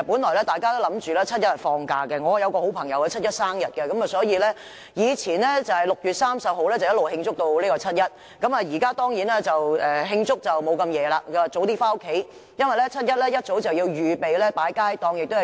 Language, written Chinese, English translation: Cantonese, 我有一位朋友的生日是7月1日，以前他會由6月30日一直慶祝至7月1日；如今，他一定不會慶祝至深夜，反而會早早回家，因為7月1日一早便要預備擺放街站和遊行。, I have a friend whose birthday falls on 1 July . In the past he used to celebrate his birthday from 30 June to 1 July but now he will go home early instead of staying out late for the celebration because he must make early preparation the next day to set up on - street booths and take part in the rally